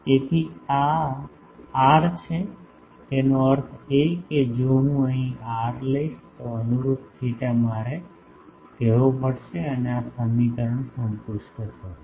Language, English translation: Gujarati, So, this is the this r; that means, if I take the r here then the corresponding theta I will have to say and this equation will be satisfied